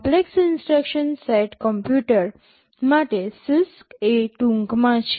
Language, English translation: Gujarati, CISC is the short form for Complex Instruction Set Computer